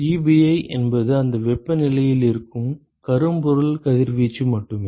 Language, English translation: Tamil, Ebi is just the blackbody radiation at that temperature right